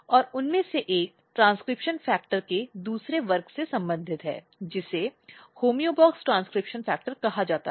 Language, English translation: Hindi, And one of them are belongs to another class of transcription factor which is called homeobox transcription factor